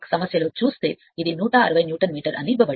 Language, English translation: Telugu, If you see in the problem it is given 160 Newton meter right